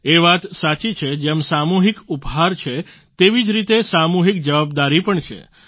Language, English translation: Gujarati, It is correct that just as there is a collective gift, there is a collective accountability too